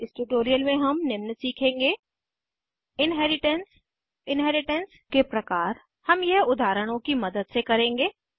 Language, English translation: Hindi, In this tutorial we will learn, Inheritance Types of inheritance We will do this with the help of examples